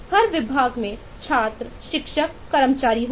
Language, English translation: Hindi, every department will have students, teachers, staff